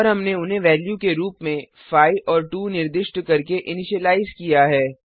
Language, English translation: Hindi, And we have initialized them by assigning values as 5 and 2